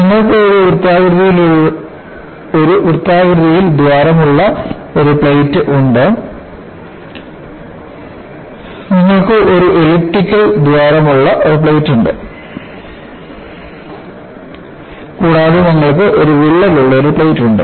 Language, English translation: Malayalam, You have a plate with a circular hole, you have a plate with an elliptical hole and you have a plate with a crack